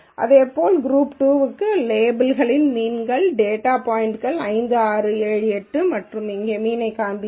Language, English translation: Tamil, Similarly for group 2, we do the mean of the labels are the data points 5, 6, 7, 8 and you will see the mean here